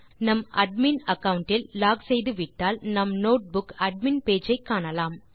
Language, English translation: Tamil, Once we are logged in with the admin account we can see the notebook admin page